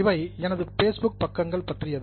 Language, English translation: Tamil, These are about my Facebook pages